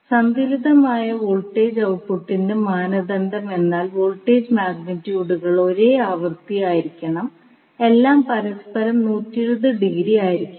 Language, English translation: Malayalam, So, the criteria for balanced voltage output is that the voltage magnitudes should be same frequency should be same and all should be 120 degree apart from each other